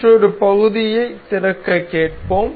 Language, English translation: Tamil, We will ask for another part to be opened